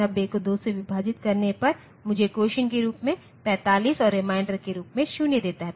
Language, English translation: Hindi, 90 divided by 2 gives me 45 as the quotient and 0 as reminder